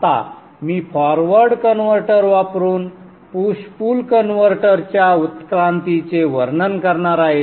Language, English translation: Marathi, Now I am going to describe the evolution of the push pull converter using the forward converter